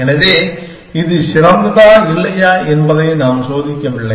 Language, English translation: Tamil, So, we are not checking whether it is better or not